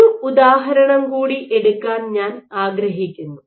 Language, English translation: Malayalam, One more example I would like to take